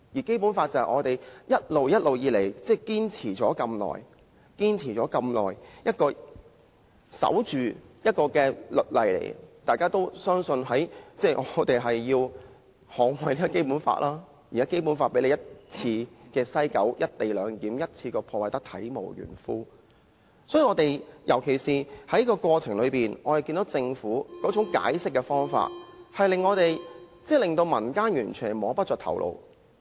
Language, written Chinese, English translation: Cantonese, 《基本法》是我們一直堅守了這麼久的律例，相信大家也要捍衞《基本法》，但現在《基本法》被西九龍站的"一地兩檢"安排一次過破壞得體無完膚，尤其是在過程中，我們看到政府解釋的方法，簡直令民間完全摸不着頭腦。, The Basic Law is the law that we have been holding fast for such a long time and we will agree that it has to be safeguarded . But now we notice that the Basic Law will be completely ruined by the implementation of the co - location arrangement at the West Kowloon Station . During the process in particular the way of explanation from the Government has totally baffled the public